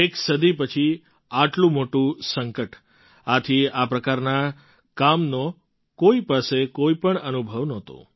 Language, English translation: Gujarati, We have met such a big calamity after a century, therefore, no one had any experience of this kind of work